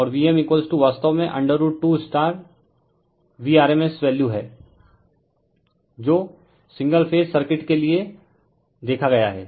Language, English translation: Hindi, And v m is equal to actually root 2 into v rms value that we have seen for single phase circuit